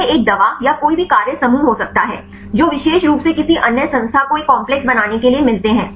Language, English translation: Hindi, It can be a drug or any function group, that find specifically to any other entity to make a complex